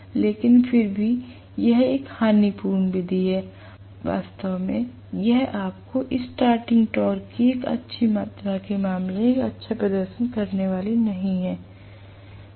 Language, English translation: Hindi, But nevertheless this is a lossy method it is not going to really give you a good performance in terms of good amount of starting torque